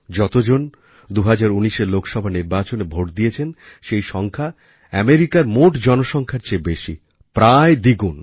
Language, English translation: Bengali, The number of people who voted in the 2019 Lok Sabha Election is more than the entire population of America, close to double the figure